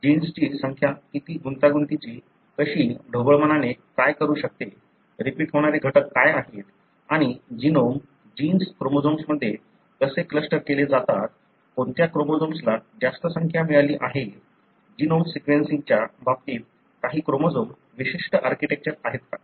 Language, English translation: Marathi, How complexities, how, roughly what could be the number of genes, what are the repeat elements and how the genome, genes are clustered in chromosome, which chromosome has got more number, is there any chromosome specific architecture in terms of genome sequencing